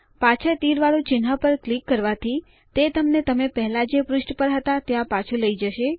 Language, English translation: Gujarati, Clicking on the back arrow icon will take you back to the page where you were before